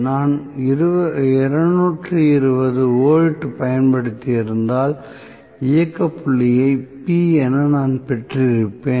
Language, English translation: Tamil, If I had applied 220 volts, maybe I would have gotten the operating point as P